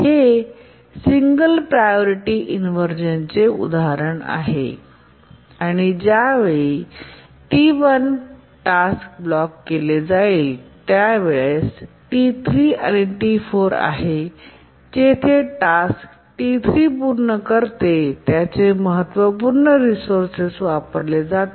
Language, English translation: Marathi, So this is an example of a single priority inversion and the time for which the task T1 gets blocked is between T3 and T4, where the task T3 completes users of its critical resource